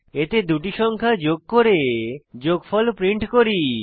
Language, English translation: Bengali, In this we add the two numbers and print the sum